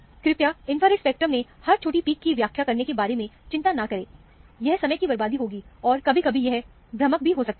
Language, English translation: Hindi, Please do not worry about interpreting every little peak in the infrared spectrum; it would be a waste of time, and sometimes, it could be also misleading